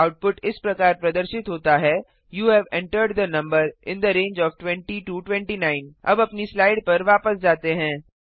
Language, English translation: Hindi, The output is displayed as: you have entered the number in the range of 20 29 Now let us switch back to our slides